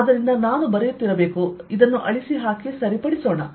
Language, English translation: Kannada, so actually i should be writing: let me just cut this and correct